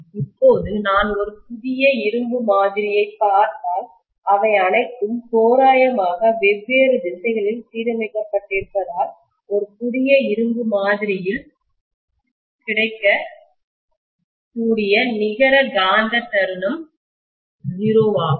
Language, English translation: Tamil, Now if I look at a new sample of iron, because all of them are randomly aligned in different directions, the net magnetic moment available is 0 in a new sample of iron